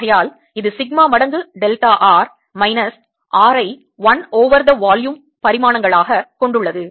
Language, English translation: Tamil, therefore this has dimensions of sigma times delta r minus r as dimensions of one over the volume, ah, one over the volume